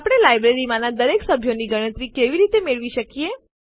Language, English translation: Gujarati, How can we get a count of all the members in the library